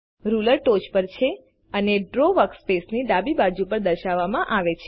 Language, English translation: Gujarati, The Ruler is displayed on the top and on the left side of the Draw workspace